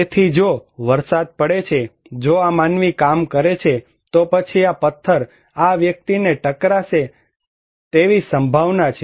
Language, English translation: Gujarati, So, if there is a rain, if this human being is working, then there is a possibility that this stone will hit this person